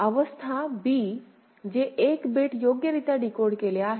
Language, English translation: Marathi, State b which is 1 bit correctly decoded